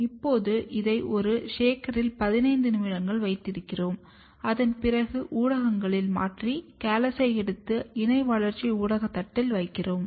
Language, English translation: Tamil, Now, we keep this for 15 minutes on a shaker and after that, we take out we throw the media, and we take the callus and put it on a co cultivation plate